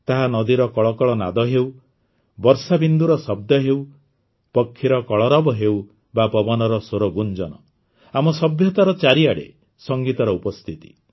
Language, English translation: Odia, Be it the murmur of a river, the raindrops, the chirping of birds or the resonating sound of the wind, music is present everywhere in our civilization